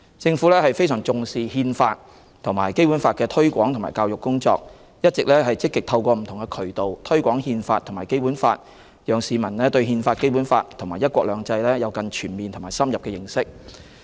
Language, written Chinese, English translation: Cantonese, 政府非常重視《憲法》及《基本法》的推廣及教育工作，一直積極透過不同渠道推廣《憲法》及《基本法》，讓市民對《憲法》、《基本法》及"一國兩制"有更全面和深入的認識。, The Government attaches great importance to the promotion and education of the Constitution and the Basic Law and has been actively promoting the Constitution and the Basic Law through various channels so that members of the public can have a more comprehensive and in - depth understanding of the Constitution the Basic Law and the principle of one country two systems